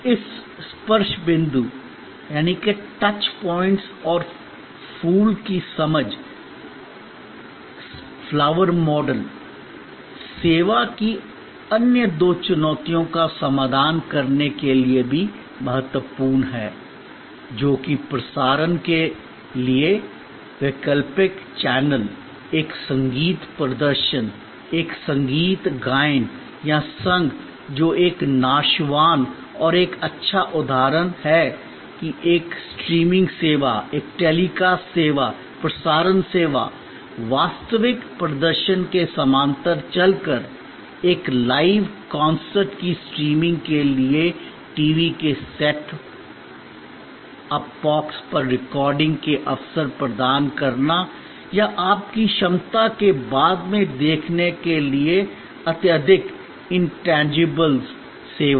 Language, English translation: Hindi, The understanding of this touch points and flower also important to address the other two challenges of service, which is this inseparability and perishability by creating alternate channels for transmission, a music performance, a music recital or consort which is an good example of a perishable and highly intangibles service by creating a streaming service, a telecast service, broadcast service, running in parallel to the real performance, providing opportunities for recording on the set up box of the TV for streaming of a live consort or your ability to see later on a you tube